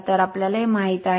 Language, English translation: Marathi, So, we know this